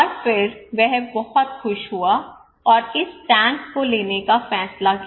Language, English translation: Hindi, And then he was very happy and decided to go for this tank